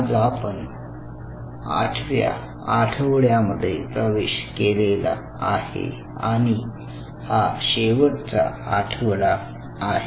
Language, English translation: Marathi, so today we are into the eighth week, which is, ah, essentially the final week of it